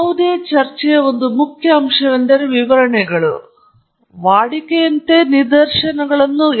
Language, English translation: Kannada, An important aspect of any talk is illustrations, and we all routinely put up illustrations